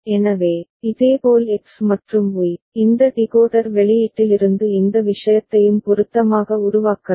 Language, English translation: Tamil, So, similarly X and Y, you can generate from this decoder output also a by appropriate this thing